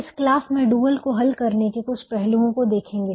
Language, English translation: Hindi, in this class will see some aspects of solving the dual